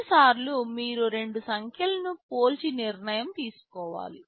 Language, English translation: Telugu, Sometimes you just need to compare two numbers and take a decision